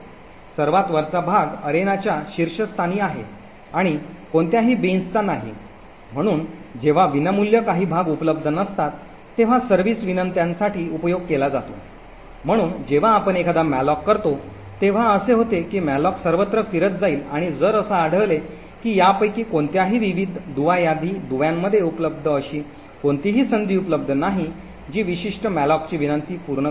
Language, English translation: Marathi, The top chunk is at the top of the arena and does not belong to any bin, so it is used to service requests when there is no free chunks available, so whenever you do a malloc what would happen is that the malloc would traversed through all the various link list and if it finds that there are no chance which are available in any of these link which can satisfy that particular malloc request then the part of the top chunk is taken and that part is allocated for the malloc request